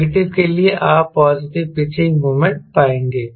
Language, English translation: Hindi, for negative, you will find positive pitching moment